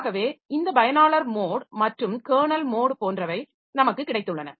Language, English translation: Tamil, So, we have got this user mode and kernel mode